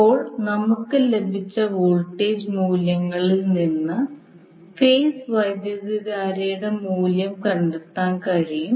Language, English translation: Malayalam, Now from the voltage values which we got, we can find out the value of the phase current